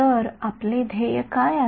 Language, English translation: Marathi, So, what is our goal